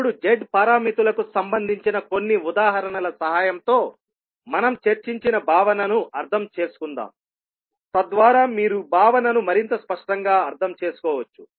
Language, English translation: Telugu, Now, let us understand the concept which we discussed related to Z parameters with the help of few examples so that you can understand the concept more clearly